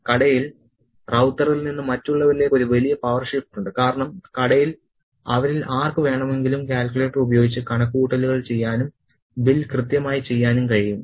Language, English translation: Malayalam, There is a big power shift from Ravutha to the rest of the community in the shop because any one of them in the shop with the calculator can do the sums and get the bill correctly done